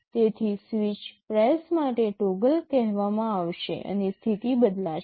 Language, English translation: Gujarati, So, for every switch press toggle will be called and the status will change